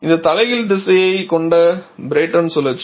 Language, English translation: Tamil, This is a cycle just the Brayton cycle with reversed directions